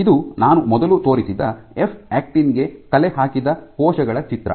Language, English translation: Kannada, So, this is a picture I had earlier shown of cells which stained for a F actin